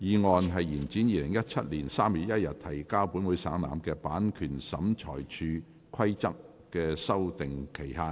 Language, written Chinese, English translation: Cantonese, 第二項議案：延展於2017年3月1日提交本會省覽的《版權審裁處規則》的修訂期限。, Second motion To extend the period for amending the Copyright Tribunal Rules which was laid on the Table of this Council on 1 March 2017